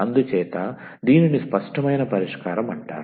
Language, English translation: Telugu, So, this is called the explicit solution